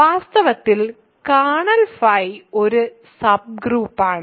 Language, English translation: Malayalam, In fact, kernel phi is a subgroup